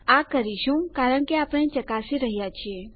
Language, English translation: Gujarati, Well do it because were testing